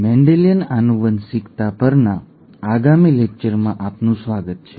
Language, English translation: Gujarati, Welcome to the next lecture on Mendelian genetics